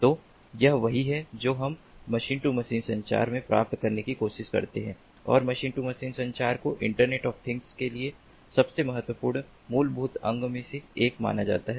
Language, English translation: Hindi, machine to machine communication and machine to machine communication is considered to be one of the most important building blocks for internet of things